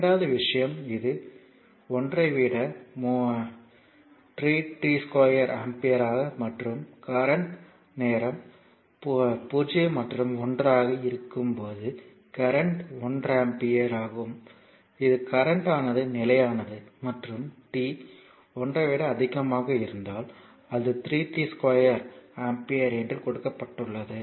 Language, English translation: Tamil, And second thing if it is 3 t square ampere for t greater than 1 and in when current time is in between 0 and 1, the current is one ampere that is current is constant and when for t greater than 1, it is 3 t square ampere say it is given